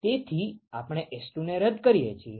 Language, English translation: Gujarati, So, we cancel out S2